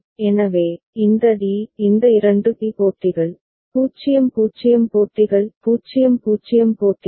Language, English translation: Tamil, So, this d; this two d matches, 0 0 matches; 0 0 matches